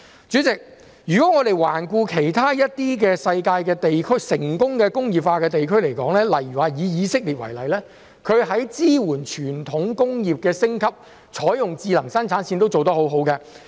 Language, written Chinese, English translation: Cantonese, 主席，環顧世界其他成功工業化的地區，例如以色列，當地在支援傳統工業升級、採用智能生產線均做得很好。, President if we look at other successful industrialized regions in the world such as Israel they have done a good job in supporting the upgrading of traditional industries and adopting smart production lines